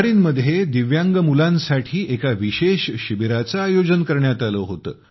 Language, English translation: Marathi, A special camp was organized for Divyang children in Bahrain